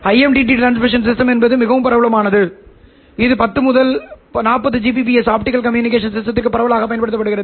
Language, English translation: Tamil, And IMD transmission system, as I said, is quite popular and it is widely used for 10 to 40 gbps optical communication system